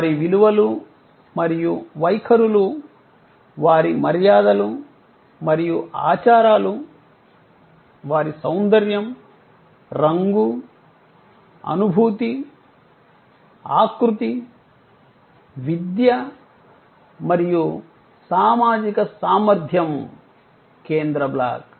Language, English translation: Telugu, Their values and attitudes, their manners and customs their sense of esthetics, color, feel, texture, education social competency that is the central block